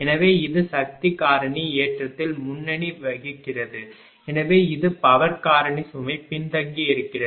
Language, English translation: Tamil, So, it is leading power factor load right so, this is lagging power factor load